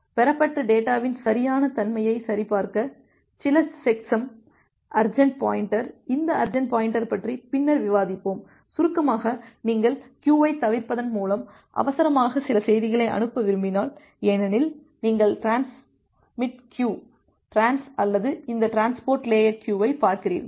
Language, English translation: Tamil, Certain checksum to check that the correctness of the received data, urgent pointer we will discuss about this urgent pointer later on; in brief like if you want to send some message urgently by bypassing the queue, because if you look into the transmit queue, trans or that transport layer queue